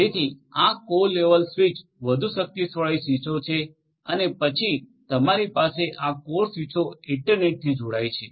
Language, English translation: Gujarati, So, these core level switches are even more powerful switches and then you have these core switches connect to the internet connect to the internet